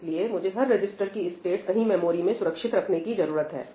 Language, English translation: Hindi, So, that is why, I need to save the state of all the registers somewhere in the memory